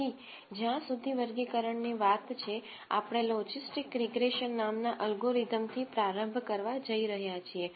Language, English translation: Gujarati, So, as far as classification is concerned we are going to start with an algorithm called logistic regression